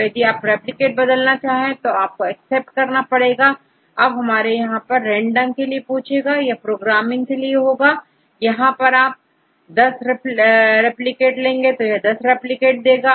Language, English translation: Hindi, So, and if you change the replicates then accept right, then the they ask for a random seed that is for the programming purpose right and finally, it will get if you put 10 replicates, it generate 10 replicates